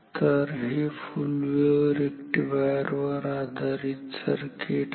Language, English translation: Marathi, So, this is full wave rectifier based circuit